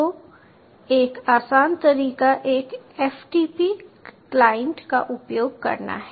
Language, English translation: Hindi, so the easier way out is using a ah ftp client